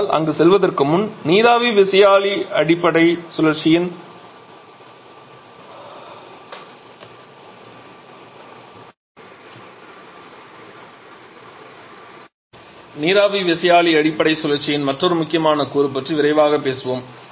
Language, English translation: Tamil, Let us quickly talk about another important component of the steam turbine base cycle